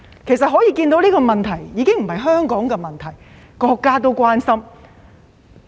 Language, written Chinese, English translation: Cantonese, 由此可見，問題已不是香港的問題，連國家也關心。, This shows that the problem is no longer only a problem to Hong Kong but a concern of the country